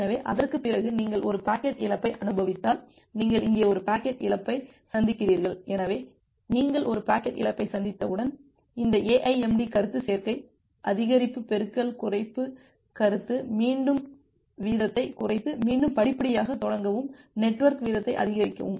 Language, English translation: Tamil, So, after that once you are experience a packet loss, you are experiencing a packet loss here, so once you are experiencing a packet loss, you apply this AIMD concept additive increase multiplicative decrease concept to drop the rate again and start this procedure again gradually increase the network rate ok